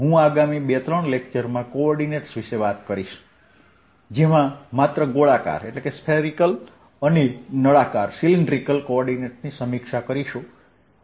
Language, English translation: Gujarati, i'll talk about the coordinates in ah next couple of lectures, because ah just to review spherical and cylindrical coordinates